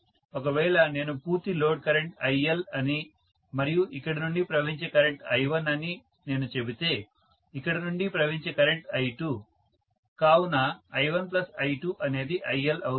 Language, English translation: Telugu, So, if I say that the load current totally is IL and what is the current flowing from here is I1, the current that is flowing from here is I2, so I1 plus I2 will be IL